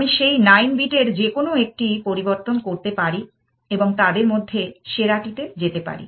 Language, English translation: Bengali, I can change any one of those 9 bits and move to the best amongst them